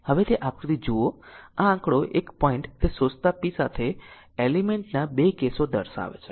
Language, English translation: Gujarati, Now look at that figure this figure one point it shows 2 cases of element with absorbing power